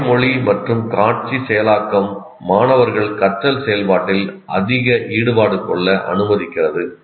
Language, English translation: Tamil, Verbal and visual processing allow students to become more involved in the learning process leading to increasing retention